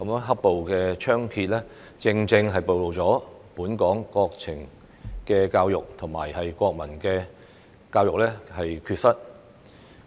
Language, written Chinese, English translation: Cantonese, "黑暴"猖獗，正正暴露本港國情教育和國民教育的缺失。, The ferocity of the black - clad violence has precisely exposed the inadequacy of the education on our country and national education in Hong Kong